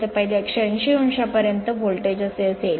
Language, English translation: Marathi, So, up to your first 180 degree the voltage will be like this